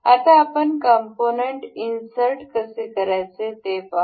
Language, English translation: Marathi, So, now, we will go to insert components